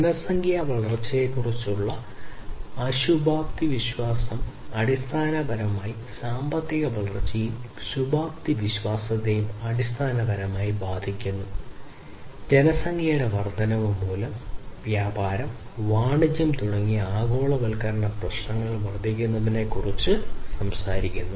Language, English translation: Malayalam, So, the pessimistic view of population growth basically effects the economic growth and the optimistic view basically on the contrary it talks about increase of the globalization issues such as trade and commerce due to the growth of population